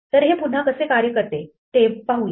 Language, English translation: Marathi, So again let us see how this works